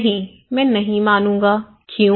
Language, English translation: Hindi, No, I will not agree, why